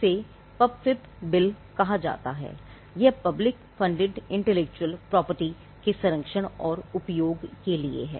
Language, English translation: Hindi, It was called the PUPFIP bill, it stands for the Protection and Utilization of Public Funded Intellectual Property